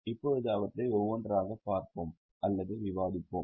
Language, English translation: Tamil, Now let us see or discuss them one by one